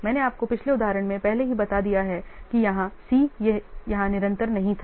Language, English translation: Hindi, I have already told you in the last example that here, the C, it was not continuous here